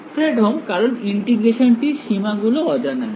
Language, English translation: Bengali, Fredholm, because the limits of integration unknown